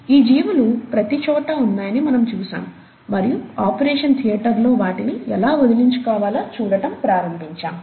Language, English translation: Telugu, Then we saw that these organisms are present everywhere, and started looking at how to get rid of them in an operation theatre